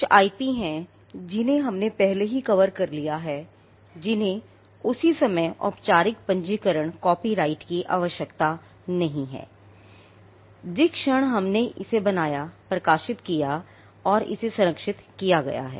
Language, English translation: Hindi, There are some IP which we have already covered which do not require a formal registration copyright the moment it is created and published it gets protected